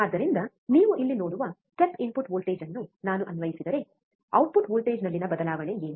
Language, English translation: Kannada, So, if I apply step input voltage, which you see here, what is the change in the output voltage